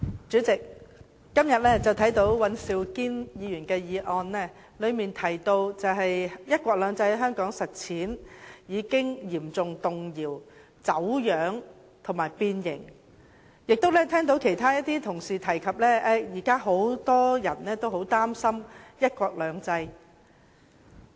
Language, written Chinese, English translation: Cantonese, 主席，尹兆堅議員今天的議案提到，"一國兩制"在香港的實踐已經嚴重動搖、走樣和變形，我亦聽到一些同事提及，現時很多人都很擔心"一國兩制"。, President in Mr Andrew WANs motion today it was mentioned that the implementation of one country two systems in Hong Kong has been severely shaken distorted and deformed . I also heard some colleagues say that many people are now very worried about one country two systems